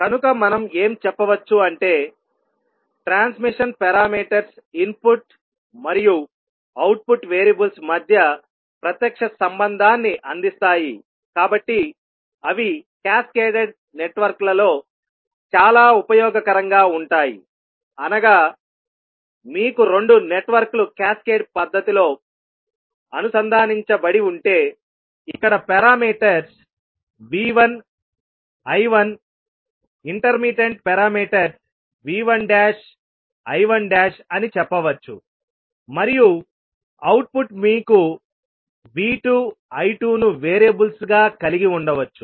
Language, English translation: Telugu, So, what we can say that since the transmission parameters provides a direct relationship between input and output variables, they are very useful in cascaded networks that means if you have two networks connected in cascaded fashion so you can say that here the parameters are V 1 I 1, intermittent parameters you can say V 1 dash I 1 dash and output you may have V 2 and I 2 as the variables